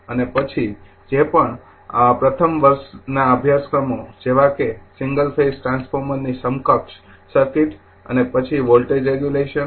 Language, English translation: Gujarati, And then whatever first year courses is there for your transformer single phase transformer your equivalent circuit and after voltage regulation